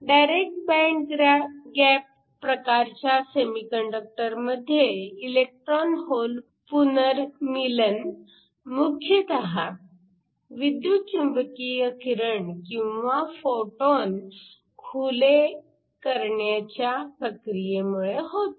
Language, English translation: Marathi, So, you have seen that the direct band gap semiconductor is one in which the electron hole recombination proceeds with the dominant mechanism being the release of electromagnetic radiation or photons